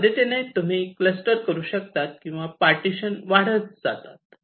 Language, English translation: Marathi, that way you can make the clusters or the partitions grow